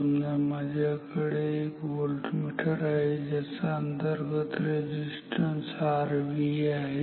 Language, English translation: Marathi, Suppose I have a voltmeter with say R V internal resistance of the voltmeter equal to